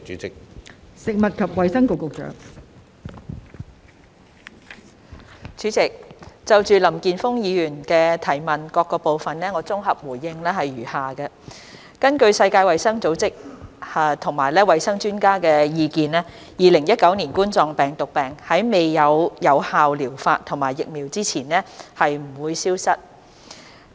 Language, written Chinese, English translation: Cantonese, 代理主席，就林健鋒議員質詢的各部分，我的綜合回應如下：根據世界衞生組織及衞生專家的意見 ，2019 冠狀病毒病在未有有效療法及疫苗前，將不會消失。, Deputy President my consolidated reply to the various parts of the question raised by Mr Jeffrey LAM is as follows According to the views of the World Health Organization WHO and health experts COVID - 19 will not vanish without an effective treatment method and vaccine